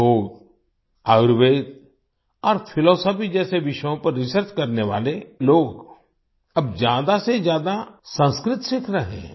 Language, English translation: Hindi, People doing research on subjects like Yoga, Ayurveda and philosophy are now learning Sanskrit more and more